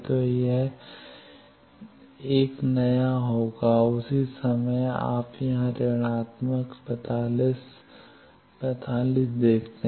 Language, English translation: Hindi, So, this will be the new 1 at the same no you see here minus 45, 45